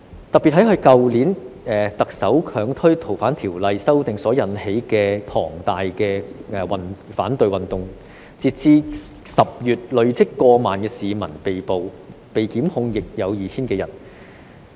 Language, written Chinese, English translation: Cantonese, 特別是在去年特首強推《逃犯條例》修訂所引起的龐大反對運動，截至10月累積過萬名市民被捕，被檢控的人數亦有 2,000 多人。, In particular in connection with the mass opposition movements triggered by the Chief Executive forcing through amendments to the Fugitive Offenders Ordinance last year as of this October a cumulative number of over 10 000 people were arrested and more than 2 000 people were prosecuted